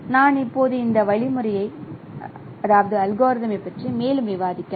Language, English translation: Tamil, So, I will be now discussing this algorithm in more details